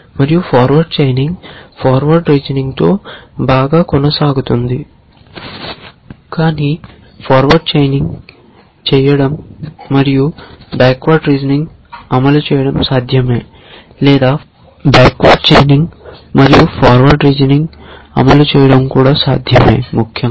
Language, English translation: Telugu, But it is possible to do forward chaining and implement backward reasoning or it is also possible to implement backward chaining and implement forward reasoning essentially